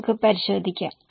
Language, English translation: Malayalam, Let us check